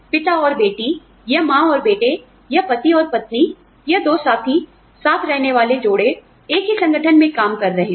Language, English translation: Hindi, Father and daughter, or mother and son, or husband and wife, or two partners, live in partners are working, in the same organization